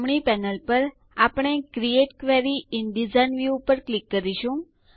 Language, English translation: Gujarati, On the right panel, we will click on the Create Query in Design view